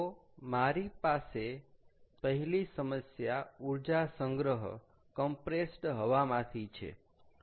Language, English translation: Gujarati, ok, so the first problem that i have, ah is from compressed air energy storage